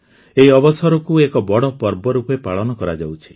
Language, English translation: Odia, This occasion is being celebrated as a big festival